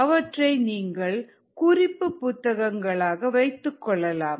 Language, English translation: Tamil, two you can consider them as ah reference books